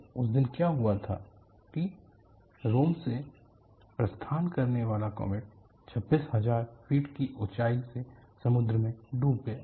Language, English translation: Hindi, So, what happened on that day was the Comet departing from Rome plunged into sea from an altitude of 26000 feet